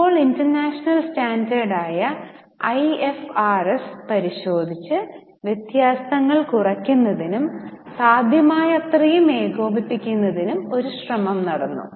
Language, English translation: Malayalam, Now, international standard which is IFRS has been examined and effort has been made to bring down the differences and as far as possible harmonize the same